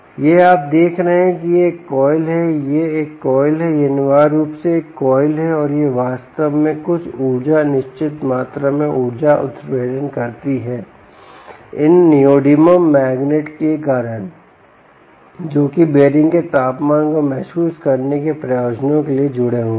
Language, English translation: Hindi, ok, this is a coil, this is essentially a coil, and it is actually inducing a certain electricity, certain amount of energy, because of these neodymium magnets which are attached for the purposes of sensing the temperature of the bearings